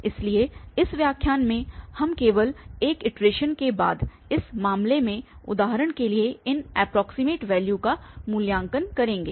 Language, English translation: Hindi, So, in this lecture we will just evaluate these approximate values for instance in this case after just after one iteration